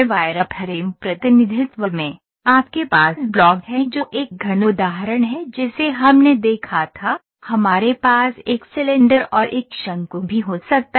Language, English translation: Hindi, In wireframe representation, you have block which is a cube example we saw, we we can also have a cylinder and a cone